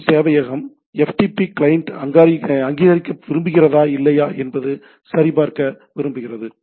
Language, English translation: Tamil, The ftp server wants to verify the ftp client is an authorised or not right